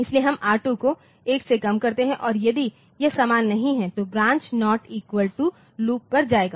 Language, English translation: Hindi, So, we reduce R2 by 1 and if it is not same so, branch on not equal to loop